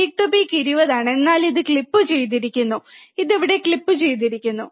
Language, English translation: Malayalam, Peak to peak is 20, but this is clipped it is clipped here